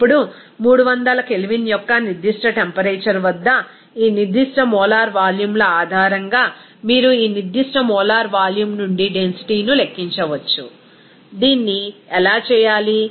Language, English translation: Telugu, Now, based on these specific molar volumes at that particular temperature of 300 K, you can calculate the density from this specific molar volume, how to do that